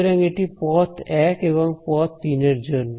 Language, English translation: Bengali, So, this was for path 1 and path 3 ok